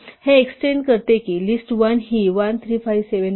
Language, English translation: Marathi, This extends, list1 to be 1, 3, 5, 7, 9